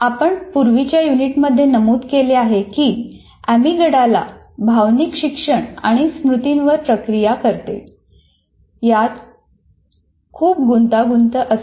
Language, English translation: Marathi, In either case, we mentioned earlier in the earlier unit, amygdala is heavily involved in processing emotional learning and memory